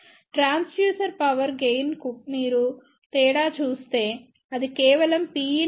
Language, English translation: Telugu, Transducer Power Gain, if you see the difference is only that P in is equal to P available from source